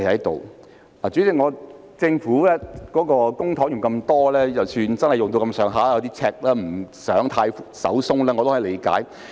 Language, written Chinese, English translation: Cantonese, 代理主席，政府動用大筆公帑，出現赤字，所以不想太"手鬆"，我也是可以理解的。, Deputy President it is understandable that after spending a large sum of public money resulting in deficits the Government is now reluctant to be too generous